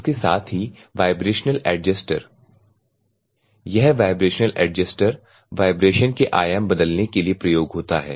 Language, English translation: Hindi, At the same time vibration adjuster this vibration adjuster will be used for vibration amplitude changings